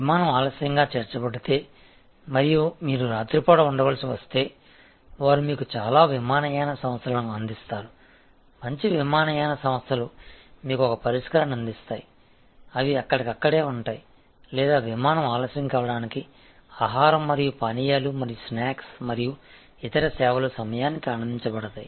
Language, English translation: Telugu, And if the flight is in add it delayed and you have to stay overnight, they will provide you the most airlines good airlines will provide you provide you a Redressal, they are on the spot or if the flight in order to delayed, food and beverage and snacks and other services will be provided on time right there